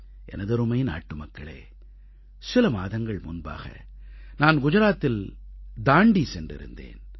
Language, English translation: Tamil, My dear countrymen, a few months ago, I was in Dandi